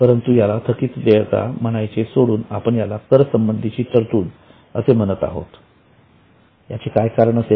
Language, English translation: Marathi, But instead of calling it outstanding, we are calling it provision for tax